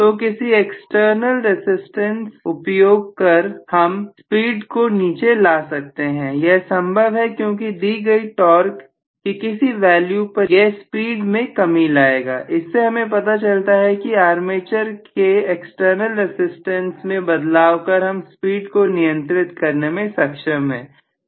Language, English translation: Hindi, So, I can include and external resistance to bring down the speed that is possible because it will only bring down the speed at a given torque value, so this tells me that speed control is possible by adjusting armature external resistance, Right